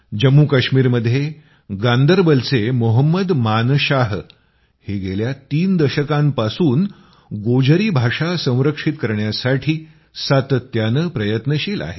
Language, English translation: Marathi, Mohammad Manshah ji of Ganderbal in Jammu and Kashmir has been engaged in efforts to preserve the Gojri language for the last three decades